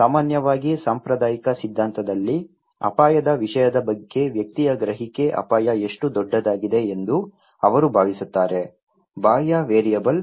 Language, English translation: Kannada, Generally, in the conventional theory, they think that individual's perception of risk matter, how big the hazard is; the exogenous variable